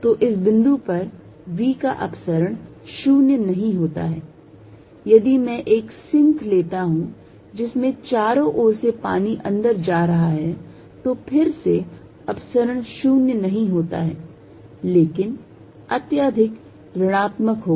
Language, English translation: Hindi, So, this point has divergence of v not zero, if I take a sink in which water is going into it form all around, then again divergence is not zero, but highly negative